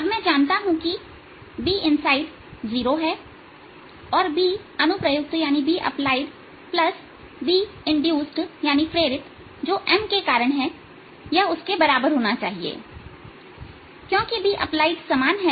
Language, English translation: Hindi, now i know b inside is zero and this should be equal to b applied plus b induced due to whatever m is, since b applied is uniform